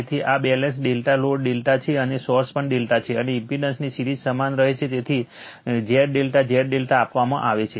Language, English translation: Gujarati, So, this is your balanced delta load is delta and source is also delta and series of impedance remains same right So, Z delta Z delta is given right